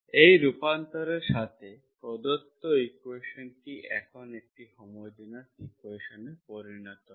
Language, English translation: Bengali, With this transformation, the given equation becomes homogeneous equation now